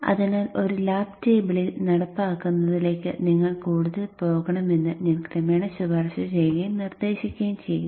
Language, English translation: Malayalam, So gradually I will recommend and suggest that you should go more and more towards implementing on a lab table